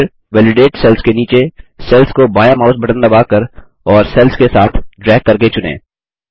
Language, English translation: Hindi, Then, select the cells below the validated cell by pressing the left mouse button, and then dragging along the cells